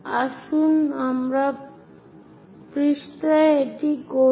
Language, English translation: Bengali, So, let us do that on page